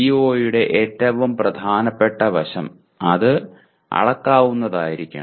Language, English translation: Malayalam, The most important aspect of CO is, it should be measurable